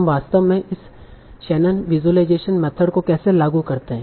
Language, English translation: Hindi, So one very interesting task is called Shannon Visualization Method